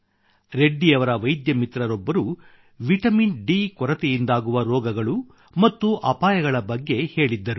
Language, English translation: Kannada, A doctor friend of Reddy ji once told him about the diseases caused by deficiency of vitamin D and the dangers thereof